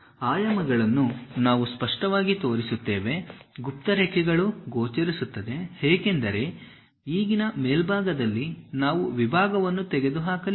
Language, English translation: Kannada, The dimensions clearly we will show, the hidden lines are clearly visible; because in top view as of now we did not remove the section